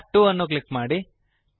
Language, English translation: Kannada, Click on tab 2